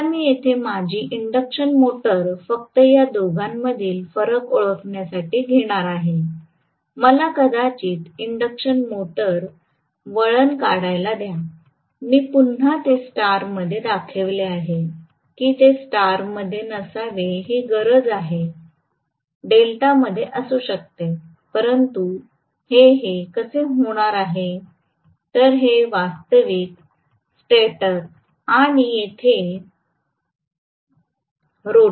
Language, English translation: Marathi, Now, I am going to have my induction motor here just to differentiate between these two, let me probably draw the induction motor winding, again I have showing it in star it need not be in star it can be in delta as well, so this how it is going to be, so this is actually the stator and here is the rotor